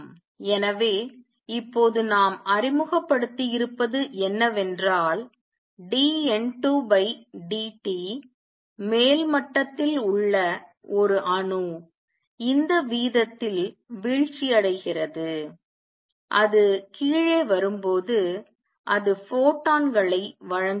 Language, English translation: Tamil, So, let us see now what we have introduced is that dN 2 by dt an atom in upper state has this rate of coming down and when it comes down it gives out photons